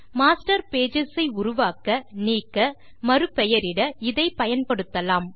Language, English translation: Tamil, You can use this to create, delete and rename Master Pages